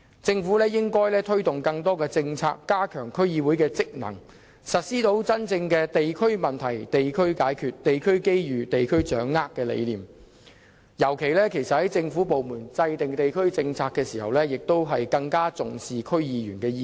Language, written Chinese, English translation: Cantonese, 政府應推動更多政策，加強區議會職能，實施真正的"地區問題，地區解決；地區機遇，地區掌握"的理念，尤其在政府部門制訂地區政策時，更應重視區議員的意見。, The Government should introduce more policies and strengthen the role and functions of DCs so that the concept of addressing district issues at the local level and capitalizing on local opportunities can be really realized . In particular government departments should attach more importance to the views of DC members when formulating district policies